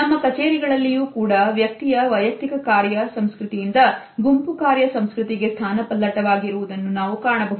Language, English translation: Kannada, In our offices we also see that now there is a shift from the individual work culture to a culture of group or team work